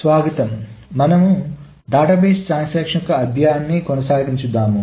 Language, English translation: Telugu, We will continue with our study on the database transactions